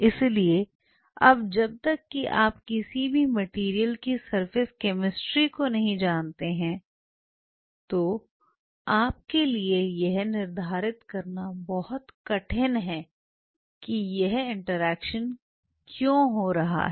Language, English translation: Hindi, So, now, unless otherwise you know the surface chemistry of any material it is extremely tough for you to quantify that why this interaction is happening